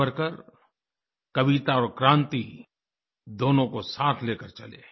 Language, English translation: Hindi, Savarkar marched alongwith both poetry and revolution